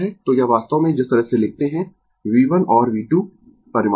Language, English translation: Hindi, So, this is actually the way we write V 1 and V 2 are the magnitude, right